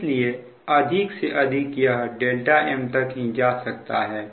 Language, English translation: Hindi, so maximum it can go up to this delta m